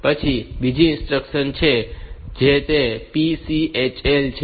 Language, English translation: Gujarati, Then there is another instruction which is PCHL